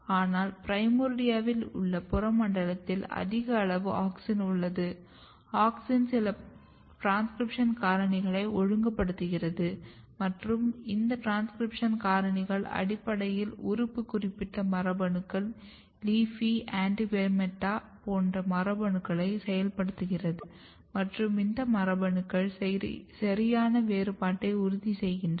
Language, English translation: Tamil, But in the peripheral zone in the primordia you have high amount of auxin; auxin is regulating some of the transcription factor and this transcription factors are basically activating, organ specific genes LEAFY, ANTIGUMETA, like genes and these genes are ensuring a proper differentiation